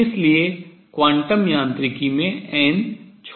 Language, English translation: Hindi, So, in quantum mechanics n is small